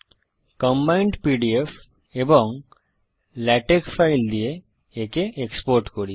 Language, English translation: Bengali, Let us export using combined pdf and latex files